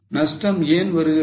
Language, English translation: Tamil, Why there is a loss